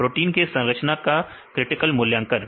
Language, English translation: Hindi, Critical Assessment for the structure of proteins